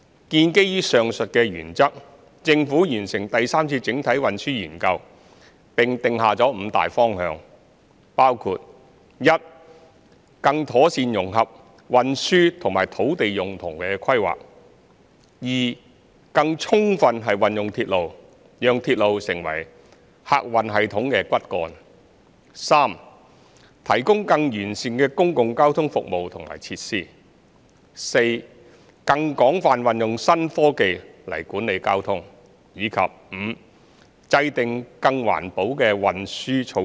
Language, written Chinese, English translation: Cantonese, 建基於上述原則，政府完成第三次整體運輸研究，並定下5個大方向，包括 i 更妥善融合運輸與土地用途規劃；更充分運用鐵路，讓鐵路成為客運系統的骨幹；提供更完善的公共交通服務和設施；更廣泛運用新科技來管理交通；以及 v 制訂更環保的運輸措施。, Based on these principles the Government completed the third CTS . The third CTS also laid down five broad directions including i better integration of transport and land use planning ii better use of railway as the backbone of the passenger transport system iii provision of better public transport services and facilities iv wider use of advanced technologies in traffic management and v implementation of more environmental - friendly transport measures